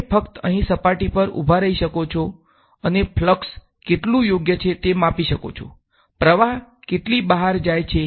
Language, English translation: Gujarati, You could just stand on the surface over here and just measure how much is the flux right; flux is how much is going out